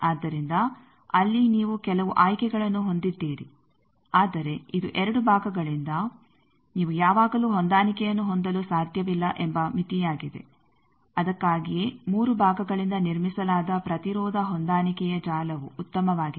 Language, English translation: Kannada, So, you have some choices there, but it is a limitation that by 2 parts you cannot have always a match that is why three parts are better that impedance matching network built of three parts